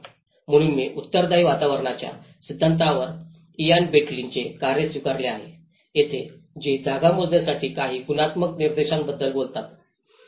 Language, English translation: Marathi, So I have adopted Ian Bentley’s work on the theory of responsive environments where he talks about certain qualitative indices how to measure a space